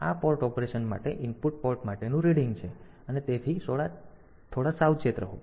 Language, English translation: Gujarati, So, this is the reading at for input port for the port operation we have to be a bit careful